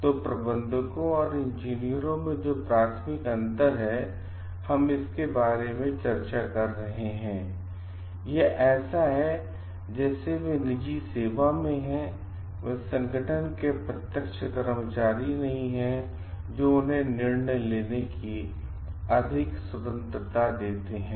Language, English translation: Hindi, So, the primary difference from managers and the engineers that we are discussing about; it is like they are like, in private practice they are not direct employees of organization that give them a greater freedom of decision making